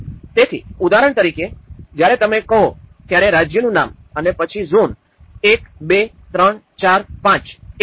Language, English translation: Gujarati, So, for example when you say, the state name and then zone; 1, 2, 3, 4, 5, like that